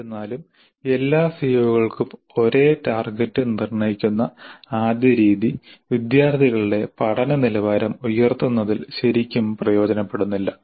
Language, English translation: Malayalam, However the first method of setting the same target for the all COs really is not much of much use in terms of improving the quality of learning by the students